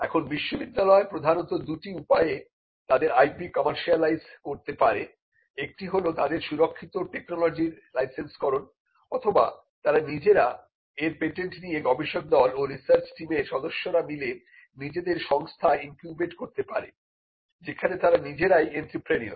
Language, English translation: Bengali, Now, universities would largely commercialize their IP in two broad ways: one they could license the technology that is covered; they would they could license the patents or the professors and the research team could itself incubate a company which is what we call the entrepreneurial rule